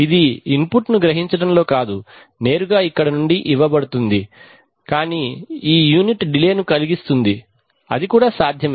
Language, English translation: Telugu, It is not in sensing the input, directly from here it is fed but this unit causes a time delay that is also possible